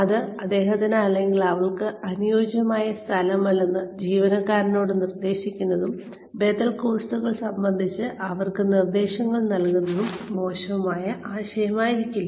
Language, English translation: Malayalam, It may not be a bad idea, to suggest to the employee, that that this may not be the right place for him or her, and to give them suggestions, regarding alternative courses